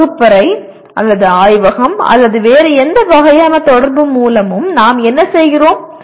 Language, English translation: Tamil, What we do in the classroom or laboratory or through any other type of interaction